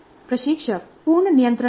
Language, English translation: Hindi, The instructor is in total control